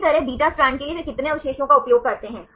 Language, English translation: Hindi, Likewise for beta strand right they use how many residues